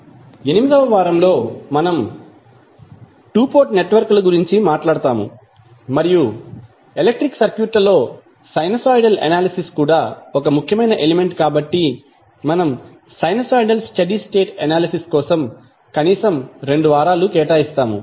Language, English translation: Telugu, Then, on week 8 we will talk about the 2 port network and since sinusoidal is also one of the important element in our electrical concept we will devote atleast 2 weeks on sinusoidal steady state analysis